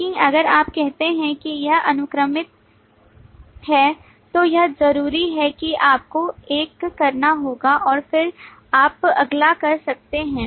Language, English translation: Hindi, But if you say it is sequential then it necessarily means that you will have to do one and then you can do the next